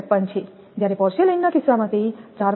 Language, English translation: Gujarati, 53, whereas, in the case of porcelain it is 4